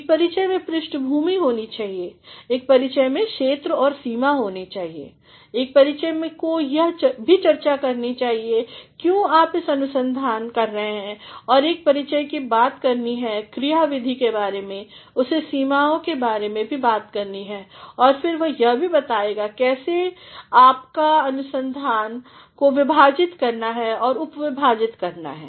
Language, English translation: Hindi, An introduction should have a background, an introduction should have scope and limitation, an introduction should also talk about, why you are doing this research and an introduction’s to talk about the methodology, it should also talk about the limitations and then it will also talk about how your research has been divided and subdivided